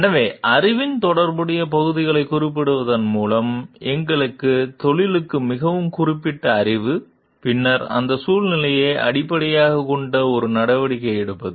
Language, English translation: Tamil, So, going through referring to relevant parts of the knowledge, body of knowledge which is very specific to us profession and then, taking a course of action which is based it that situation